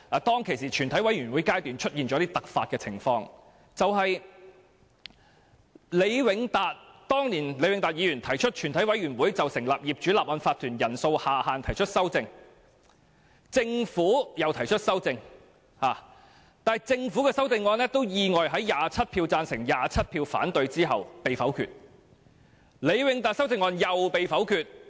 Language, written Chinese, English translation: Cantonese, 當時，全委會出現了突發情況，那就是前議員李永達在全委會審議階段就成立業主立案法團的人數下限提出修正案，政府亦提出修正案，但政府的修正案意外地在27票贊成、27票反對的情況下被否決，前議員李永達的修正案同樣遭到否決。, At that time something unexpected happened at the Committee stage . Former Member LEE Wing - tat moved a Committee stage amendment CSA on the minimum number of owners required for the formation of Owners Corporations and the Government also moved a CSA . However the Governments CSA was surprisingly negatived by 27 votes to 27 and so was LEE Wing - tats CSA